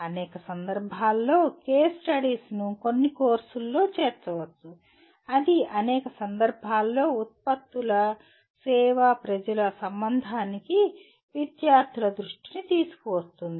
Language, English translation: Telugu, One of the ways is case studies can be incorporated in some courses that will bring the attention of students to products service people relationship in a number of contexts